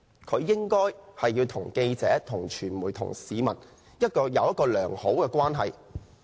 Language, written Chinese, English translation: Cantonese, 他應該要與記者、傳媒和市民保持良好關係。, He should maintain a good relationship with the press media and members of the public